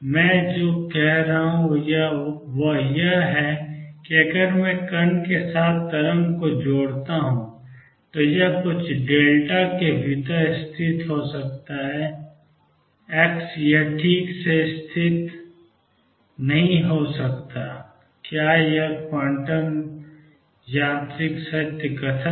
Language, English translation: Hindi, What I am saying is if I associate how wave with the particle, it can best be located within some delta x it cannot be located precisely, and that is a quantum mechanical true statement